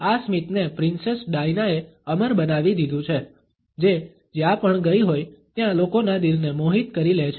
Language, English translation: Gujarati, This smile has been immortalized by Princess Diana, who has captivated the hearts of people wherever she has gone